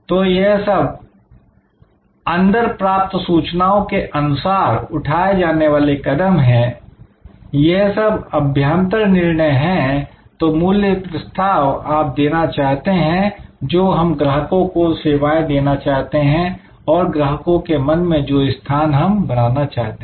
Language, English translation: Hindi, So, these are input steps, these are internal decisions that what value proposition you want to offer, what customers we want to serve, what position in the customer's mind we want to create